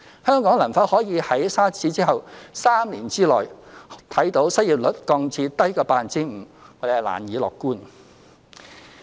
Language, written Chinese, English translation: Cantonese, 香港能否可以如沙士之後，在3年之內看見失業率降至低於 5%， 我們難以樂觀。, Will the unemployment rate in Hong Kong fall below 5 % in three years just as it did after the SARS outbreak? . We can hardly be optimistic